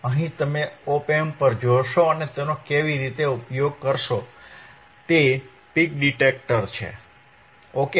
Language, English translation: Gujarati, Here you will look at the op amp, how it can be use is a peak detector ok